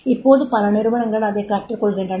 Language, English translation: Tamil, Now, many organizations they are learning